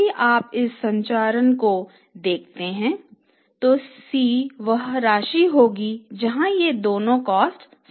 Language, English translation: Hindi, Now, we say if you look at this structure we are saying that the C will be the amount where both these costs are equal